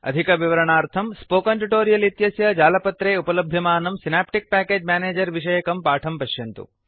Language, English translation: Sanskrit, For details, watch the tutorial on Synaptic Package Manager available on the Spoken Tutorial website